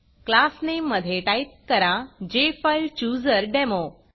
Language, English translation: Marathi, For Class Name, type JFileChooserDemo